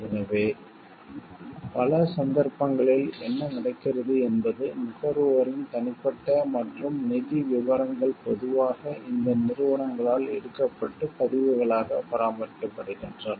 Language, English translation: Tamil, So, in many cases what happens the details the personal and the financial details of consumers are usually taken by these companies and maintained as records